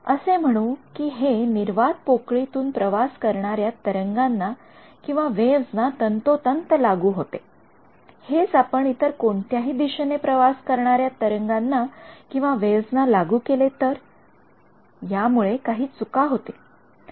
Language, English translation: Marathi, Saying that it should hold true for a wave traveling in vacuum, we will force it on wave traveling in any direction and we will suffer some error because of that